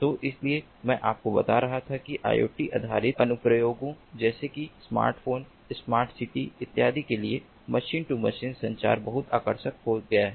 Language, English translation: Hindi, so that is why i was telling you that machine to machine communication has become very much attractive for iot based applications, involving applications such as smart homes, smart cities and so on